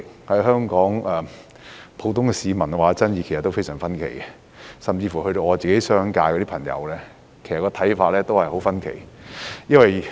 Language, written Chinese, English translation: Cantonese, 對此，香港普通市民的意見其實都非常分歧，甚至我的商界朋友的看法也很分歧。, Views of the Hong Kong public on the issue are actually very diverse and even my friends in the business sector hold a diverse range of opinion